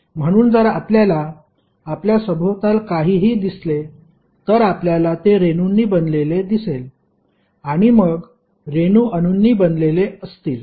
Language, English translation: Marathi, So, if you see anything around you, you will see it is composed of molecules and then molecules are composed of atoms